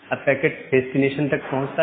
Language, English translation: Hindi, Now the packet reaches to the destination